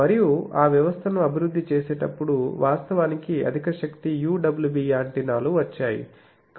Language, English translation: Telugu, And on developing that system actually came the high power UWB antennas